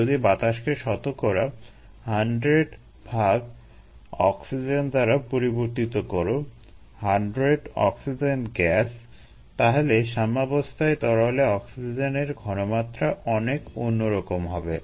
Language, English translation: Bengali, if you replace air with hundred percent oxygen, hundred oxygen gas, the oxygen concentration at equilibrium in the liquid is going to be very different